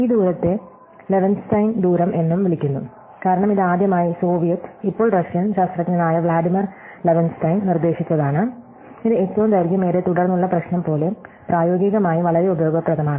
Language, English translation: Malayalam, So, this distance is also called the Levenshtein distance, because it was first proposed by the Soviet, now Russian scientist called Vladimir Levenshtein and this like the longest common subsequence problem, it is extremely useful in practice